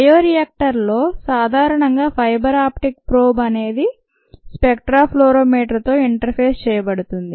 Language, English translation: Telugu, what is done is ah fiber optic probe is interfaced with a spectra fluorimeter